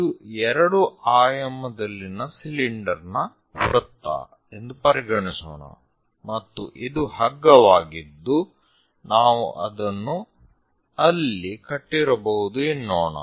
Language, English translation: Kannada, Let us consider this is the cylinder circle in two dimensions and this is the rope which perhaps we might have tied it there